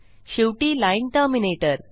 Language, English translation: Marathi, Didnt use the line terminator